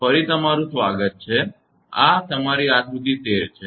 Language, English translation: Gujarati, Welcome back actually this is your figure 13